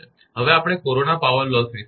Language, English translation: Gujarati, Now, we will come to the corona power loss